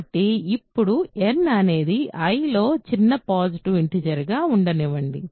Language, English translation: Telugu, Now, what I will do is let n be the smallest positive integer in I ok